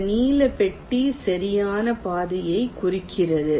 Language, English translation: Tamil, this blue box indicates the path